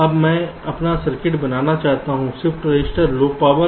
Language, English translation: Hindi, now i want to make my circuit, the shift register, low power